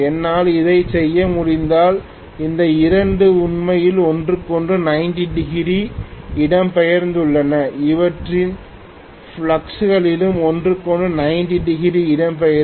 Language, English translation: Tamil, If I am able to do this, then these two are actually displaced from each other by 90 degrees their fluxes will also be displaced from each other by 90 degrees